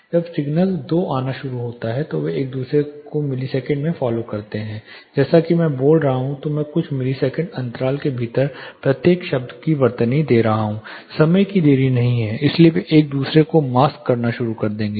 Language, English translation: Hindi, When the signal two starts coming in they follow each other in milliseconds like, I am talking I spelling each word within a few millisecond gap there is no much of time delay, so they will start masking each other